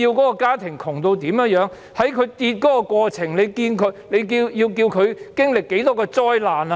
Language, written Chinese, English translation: Cantonese, 在家庭收入下跌的過程中，一家人要經歷多少災難？, As family income drops how much hardship and arguments will a family have to go through?